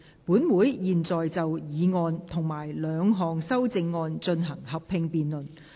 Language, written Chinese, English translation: Cantonese, 本會現在就議案及兩項修正案進行合併辯論。, Council will now proceed to a joint debate on the motion and the two amendments